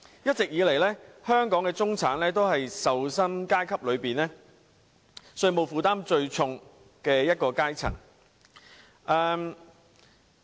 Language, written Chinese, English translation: Cantonese, 一直以來，香港的中產都是受薪階級中稅務負擔最重的一個階層。, All along the middle class has been the class that shoulders the heaviest tax burden among all salaried classes in Hong Kong